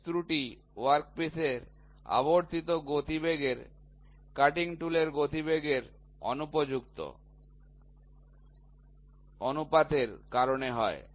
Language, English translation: Bengali, The pitch error are due to improper ratios of cutting tool velocity to the rotating velocity of the work piece